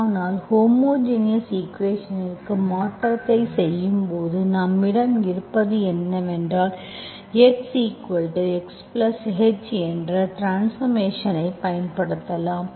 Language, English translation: Tamil, But when you do the non homogeneous conversion to homogeneous equation, what you have is, you use the transformation x equal to x plus H